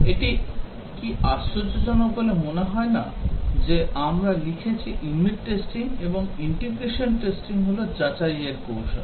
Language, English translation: Bengali, Does it appear surprising that we are written unit testing and integration testing are verification techniques